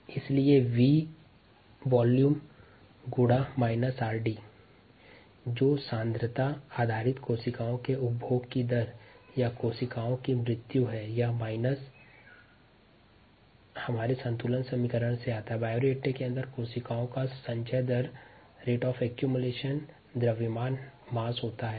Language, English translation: Hindi, therefore, this r d into v, which is the ah rate of a consumption of cells or the rate of death of cells on a mass basis this minus comes from our ah balance equation equals the accumulation rate of the mass of cells inside the bioreactor when it is being sterilized